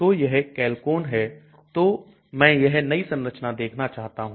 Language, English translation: Hindi, So this is Chalcone so I want to see this new structure